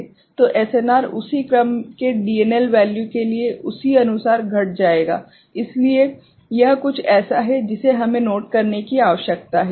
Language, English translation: Hindi, So, the SNR will correspondingly decrease for a DNL value of that order ok, so this is something we need to take note of ok